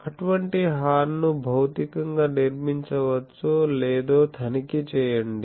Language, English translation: Telugu, Check to see if such a horn can be constructed physically